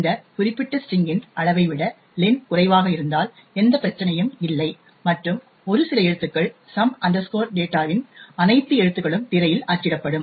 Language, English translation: Tamil, If len is less than the size of this particular string then there is no problem and a few characters and at most all the characters of some data would get printed on the screen